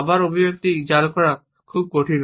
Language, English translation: Bengali, Again, it is very difficult to fake this expression